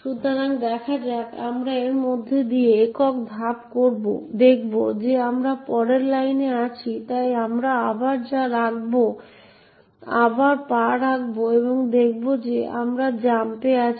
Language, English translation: Bengali, step through this, see that we are in the next line, so we step again and see that we are at the jump